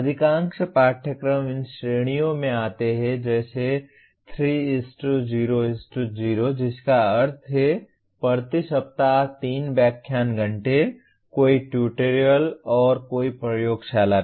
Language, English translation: Hindi, Most of the courses fall into these categories like 3:0:0 which means 3 lecture hours per week, no tutorial, and no laboratory